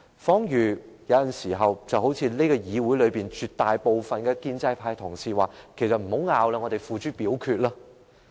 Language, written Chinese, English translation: Cantonese, 彷如很多時候，議會內絕大部分的建制派同事也會說："不要爭論了，我們付諸表決吧"。, The case is similar to an overwhelming majority of pro - establishment Members who often say in the legislature Let us stop arguing and put the motion to vote